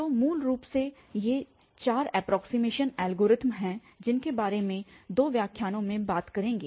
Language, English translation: Hindi, So, basically these four approximations algorithm will be talking about in this in two lectures